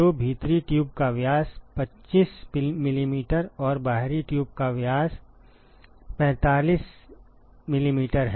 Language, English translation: Hindi, So, the diameter of the inner tube is 25 mm and the diameter of the outer tube is 45 mm